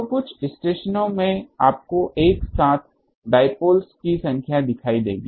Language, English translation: Hindi, So, in some of the stations you will see number of dipoles together